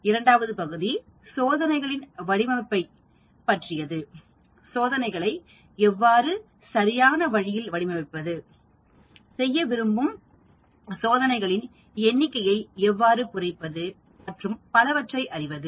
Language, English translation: Tamil, The second part deals with the design of experiments, how do you go about designing experiments in a correct way, how to reduce the number of experiments I would like to do and so on